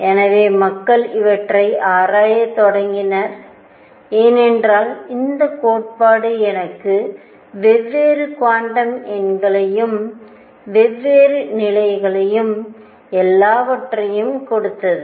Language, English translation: Tamil, So, people started investigating these, because now we had this theory that gave us different quantum numbers, different levels and what all was there all right